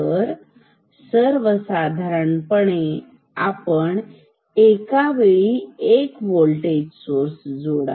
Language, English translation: Marathi, So, in general we should apply one voltage source at a time